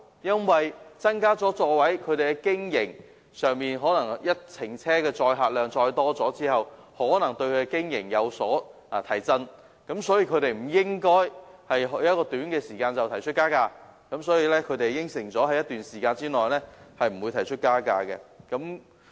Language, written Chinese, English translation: Cantonese, 在增加座位後，每程車的載客量增加後，可能對小巴的經營有所提振，所以小巴承辦商不應在短期內提出加價，而他們已承諾在一段時間內不會提出加價。, With an increased number of seats the increased patronage per trip will probably boost the operation of light buses so light bus operators should not propose any fare increase within a short period of time . They have indeed undertaken that they would not do so within a certain period of time